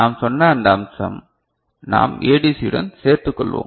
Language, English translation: Tamil, This aspect we said, we will take up together with ADC